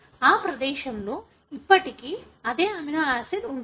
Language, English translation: Telugu, It would still have the same amino acid in that place